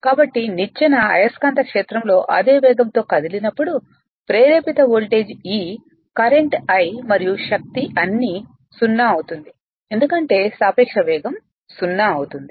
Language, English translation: Telugu, So, if the ladder were to move at the same speed at the magnetic field the induced voltage E, the current I, and the force would all be 0 because relative speed will be 0 right